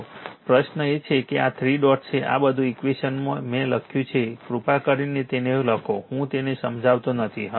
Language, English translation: Gujarati, So, question is that, but this 3 dots are there this all this equations, I have written right you please write it I am not explain it